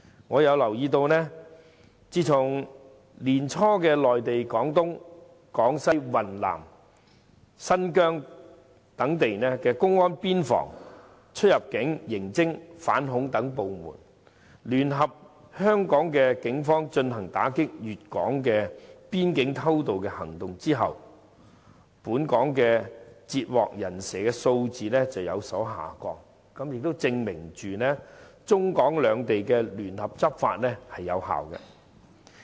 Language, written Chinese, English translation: Cantonese, 我留意到，自從年初內地廣東、廣西、雲南、新疆等地的公安邊防、出入境、刑偵、反恐等部門，聯合香港警方進行打擊粵港邊境偷渡的行動後，本港截獲"人蛇"的數字有所下降，證明中港兩地聯合執法有效。, I note that after the commencement of the joint anti - illegal immigration operations among border security units immigration units criminal investigation units anti - terrorism units of Guangdong Guangxi Yunnan Xinjiang and the Hong Kong Police Force at the beginning of this year the number of illegal entrants intercepted by Hong Kong has declined . It shows that the joint enforcement operations between China and Hong Kong are effective